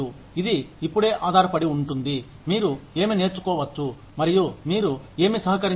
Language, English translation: Telugu, It just depends on, what you can learn, and what you can contribute